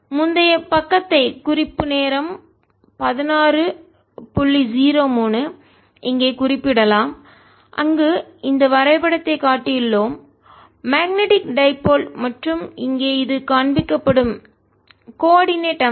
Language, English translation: Tamil, we can refer to the previous page where we have shown this diagram of the magnetic dipole and this is the coordinate system shown